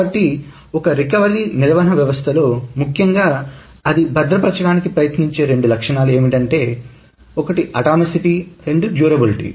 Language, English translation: Telugu, So the recovery management system, essentially the two properties that it tries to maintain is the atomicity and the durability